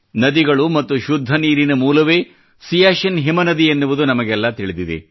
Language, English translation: Kannada, We all know that Siachen as a glacier is a source of rivers and clean water